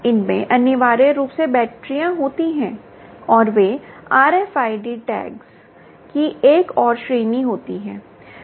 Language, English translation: Hindi, these essentially have batteries and, ah, they are another class of r f id tags